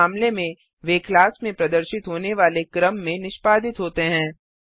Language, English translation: Hindi, In this case they execute in the sequence in which they appear in the class